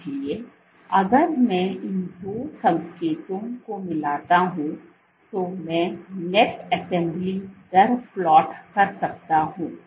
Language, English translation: Hindi, So, if I combine these two signals what I can get I can plot the net assembly rate